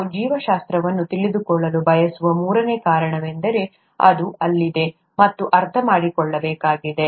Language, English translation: Kannada, The third reason why we could, we would want to know biology, is because it is there, and needs to be understood